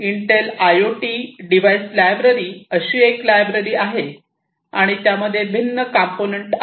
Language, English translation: Marathi, Intel IoT device library is one such library and there are different components in it